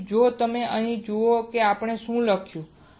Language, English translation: Gujarati, So, if you see here, what we have written